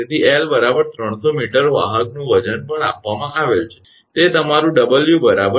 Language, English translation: Gujarati, So, L is equal to 300 meter weight of the conductor is also given, that is your 2